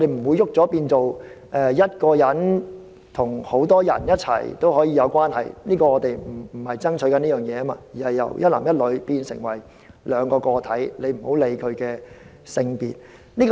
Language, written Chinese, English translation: Cantonese, 這個轉變不會變成一個人可以跟數個人有關係，我們不是爭取這件事，而是由一男一女變成兩個個體，不論其性別而已。, The change does not mean that a monogamous relationship will change to a polygamous one we are not fighting for such a change but from the union of one man and one woman to that of two individuals regardless of their genders